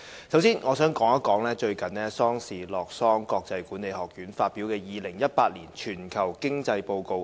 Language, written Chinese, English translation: Cantonese, 首先，我想說說最近瑞士洛桑國際管理發展學院發表的《2018年全球經濟報告》。, First let me refer to the World Competitiveness Yearbook WCY 2018 recently published by the International Institute for Management Development IMD in Lausanne Switzerland